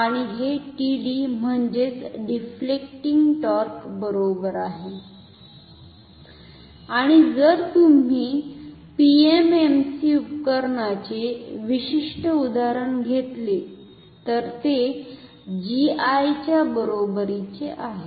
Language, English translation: Marathi, And this is equal to td that is deflecting torque and if you take a particular example of PMMC instrument this is equal to GI